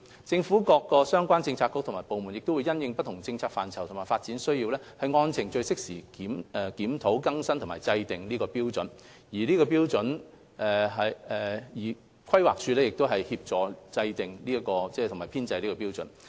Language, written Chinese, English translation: Cantonese, 政府各相關政策局及部門會因應不同政策範疇及發展需要，按程序適時檢討、更新及制訂《規劃標準》，而規劃署則協助制訂及編製有關標準。, Relevant government bureaux and departments would review update and formulate HKPSG from time to time in light of different policy and development needs while the Planning Department would assist in coordinating the formulation of the relevant standards